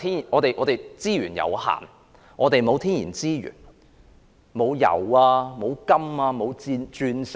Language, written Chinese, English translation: Cantonese, 我們資源有限，沒有天然資源，沒有油、金和鑽石。, We have limited resources and have no natural resources such as oil gold and diamond